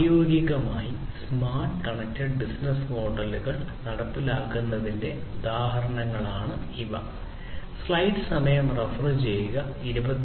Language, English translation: Malayalam, So, these are the two examples of smart and connected business models being implemented in practice